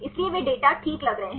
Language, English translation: Hindi, So, they data seem to be fine